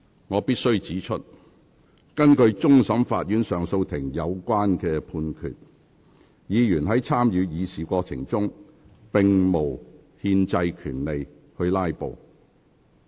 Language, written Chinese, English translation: Cantonese, 我必須指出，根據終審法院及上訴法庭的有關判決，議員在參與議事過程中，並無憲制權利"拉布"。, I must point out that in accordance with the judgment handed down by the Court of Final Appeal CFA and the Court of Appeal Members do not have the constitutional right to filibuster during the proceedings of the Council